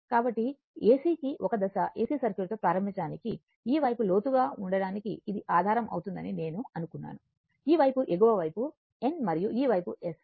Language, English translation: Telugu, So, to start with AC single phase circuit, I thought this will be the base to depth this side is upper side is N and this side is S right